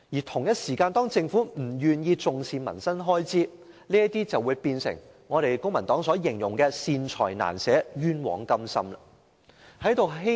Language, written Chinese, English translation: Cantonese, 同時，政府不願意重視民生開支，因而出現公民黨所說的"善財難捨，冤枉甘心"的情況。, At the same time the Government refuses to attach importance to livelihood expenditures . This is why the Civic Party criticizes the Government for being tight - fisted with benevolent measures; generous with extravagant projects